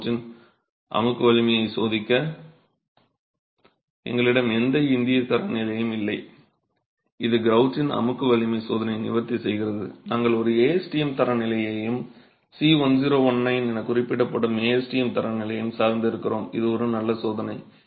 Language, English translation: Tamil, So, for testing the compressive strength of the grout, we don't have an Indian standards that addresses the compressive strength testing of the grout, we depend on the on an ASTM standard and the ASTM standard referred to here is C1019 and it's an interesting test